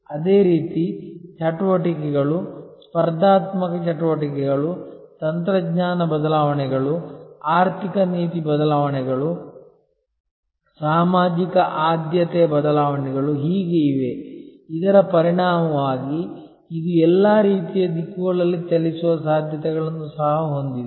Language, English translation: Kannada, And similarly, there are activities, competitive activities, technology changes, economic policy changes, social preference changes and so on, as a result of which this also has possibilities of moving in all kinds of directions